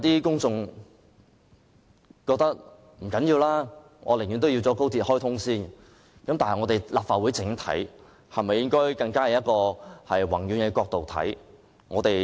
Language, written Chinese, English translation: Cantonese, 公眾人士可能覺得不重要，寧可先行開通高鐵，但立法會是否應該從一個更宏遠的角度來看？, Members of the public may think that this is unimportant and they may prefer the commissioning of XRL . Shouldnt the Legislative Council have a more macroscopic perspective?